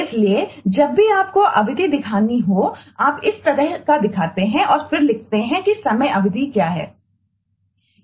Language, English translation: Hindi, so whenever you have to show duration, you just show this kind of and then you write what is the time duration